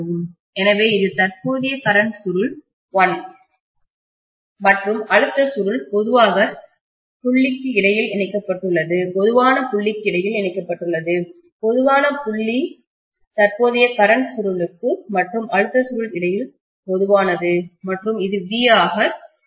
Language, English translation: Tamil, So this is the current coil 1 and I am going to have the pressure coil connected between the common point, which is common between the current coil and pressure coil and this is going to be the V